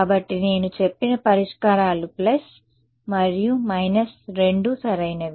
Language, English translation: Telugu, So, the solutions I said I mentioned are both plus and minus right